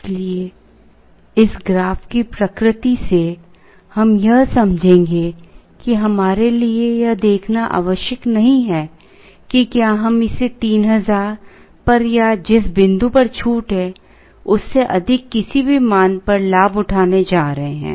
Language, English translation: Hindi, Therefore, from the very nature of this graph, we will understand that it is not necessary for us to see whether we are going to avail it at 3000 or any value higher than the point at which there is a discount